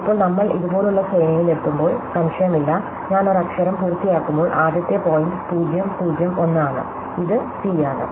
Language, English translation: Malayalam, So, now when we get along sequence like this, there is no doubt, the first point when I completed a letter is 0 0 1 and this is a c